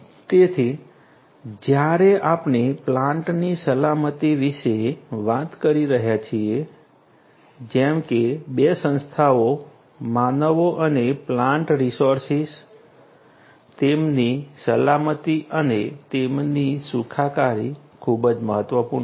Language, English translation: Gujarati, So, when we are talking about plant safety specifically as I said before two entities humans and plant resources, their safety, their well being is very important